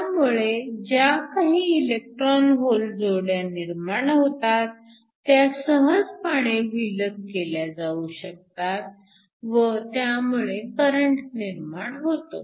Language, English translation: Marathi, So, any electron hole pairs that are generated can be easily separated and this gives rise to a current